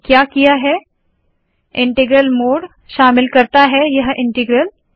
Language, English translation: Hindi, So what I have done is the integral mode includes the term this integral